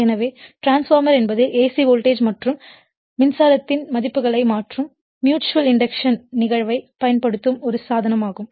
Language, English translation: Tamil, So, that means, therefore, the transformer is a device which uses the phenomenon of mutual inductance mutual induction to change the values of alternating voltage and current right